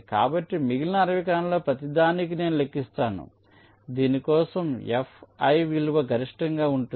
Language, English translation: Telugu, so so i calculate for each of the remaining sixty cells for which the value of fi is coming to be maximum